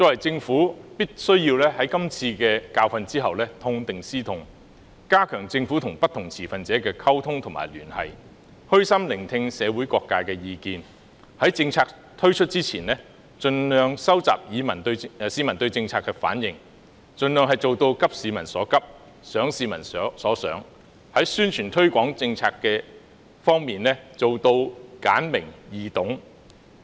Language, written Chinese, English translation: Cantonese, 政府必須在汲取今次教訓後痛定思痛，加強與不同持份者的溝通及聯繫，虛心聆聽社會各界的意見，在政策推出前，盡力收集市民對政策的反應，盡量做到急市民所急，想市民所想；而在宣傳推廣政策方面，要做到簡明、易懂。, The Government must draw a lesson from this bitter experience enhance the communication and liaison with different stakeholders humbly listen to the views of various sectors in society and strive to collect the peoples feedback on its policies before the implementation of such policies . It should as far as possible share the urgent concern of the public and think what the people think . On the publicity and promotion of policies it should aim at making them concise and easy to understand